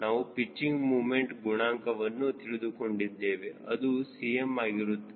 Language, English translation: Kannada, and we also defined pitching moment coefficient, which is cm